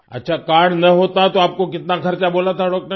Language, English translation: Hindi, Ok, if you did not have the card, how much expenses the doctor had told you